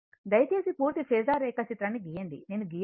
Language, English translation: Telugu, You please draw the complete phasor diagram, I have not drawn for you right